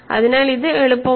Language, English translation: Malayalam, So, this is easy